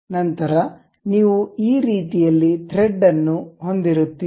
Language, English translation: Kannada, Then, you will have a thread in this way